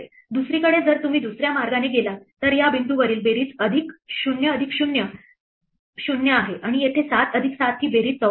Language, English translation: Marathi, On the other hand, if you go the other way then the sum at this point is 0 plus 0 is 0, and the sum over here is 7 plus 7 is 14